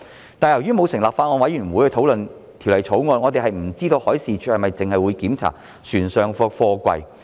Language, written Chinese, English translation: Cantonese, 然而，由於沒有成立法案委員會討論《條例草案》，我們不知道海事處是否只會檢查船上的貨櫃。, Nevertheless since no Bills Committee has been formed to discuss the Bill we do not know whether MD inspects only containers on board vessels